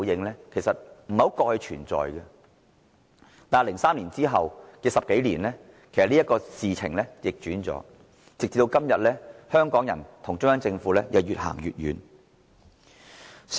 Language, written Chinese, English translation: Cantonese, 但是，在2003年後的10多年，這情況已然逆轉，今天，香港人與中央政府已越走越遠。, Yet the situation has been reversed more than 10 years after 2003 and the relationship between Hong Kong people and the Central Government has become more and more distant today